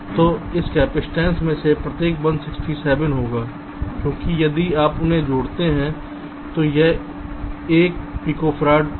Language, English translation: Hindi, so each of this capacitance will be one, sixty seven, because if you add them up it will be one, p, f